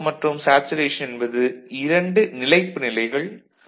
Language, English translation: Tamil, The cut off and saturations are two stable states